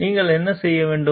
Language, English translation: Tamil, What should you do